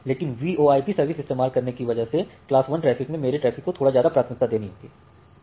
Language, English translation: Hindi, But in class 1 traffic you should give little more priority to my traffic, because I am going to use a VoIP services